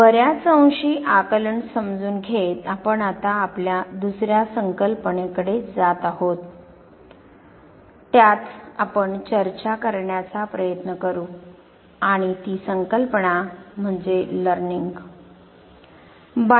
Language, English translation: Marathi, Having understood perception to a greater extent, we are now moving to our second concept that we would we trying to discuss at length and that is Learning